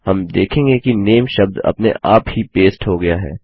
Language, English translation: Hindi, We see that the word NAME gets pasted automatically